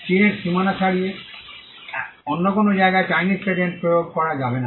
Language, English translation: Bengali, A Chinese patent cannot be enforced in any other place beyond the boundaries of China